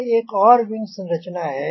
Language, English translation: Hindi, so this is another wing configuration